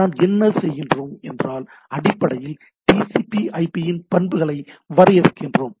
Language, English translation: Tamil, What we do we basically this define the TCPIP property, right